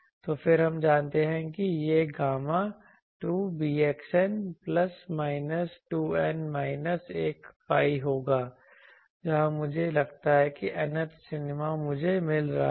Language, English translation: Hindi, So, then we know that this gamma will be 2 beta x n plus minus 2 n minus 1 pi, where here I am assuming that nth minima I am finding